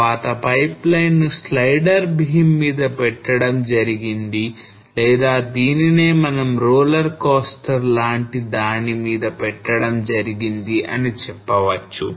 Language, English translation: Telugu, So and in later so the put this pipeline on a slider beam or we can say a very much similar to the roller coaster